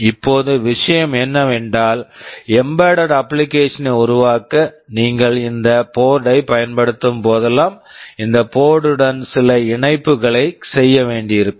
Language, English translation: Tamil, Now the thing is that whenever you are using this board to develop an embedded application you will have to make some connections with this board